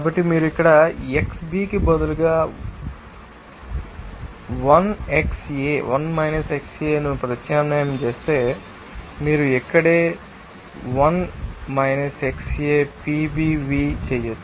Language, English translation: Telugu, So, if you substitute here 1 xA instead of xB then you can simply right here that PBv